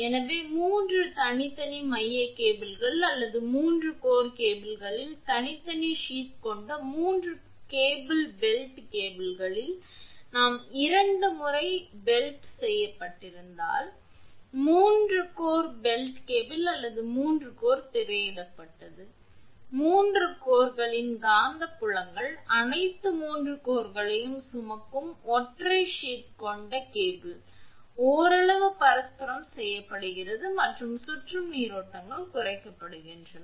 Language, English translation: Tamil, So, when 3 separate single core cables or a 3 core cable with each core having separate sheath here if we used in 3 core belted cables twice belted has been written, so, the 3 core belted cable or a 3 core screened cable with only a single sheath carrying all the 3 cores the magnetic fields of the 3 cores are partially mutually compensated and the circulating currents are reduced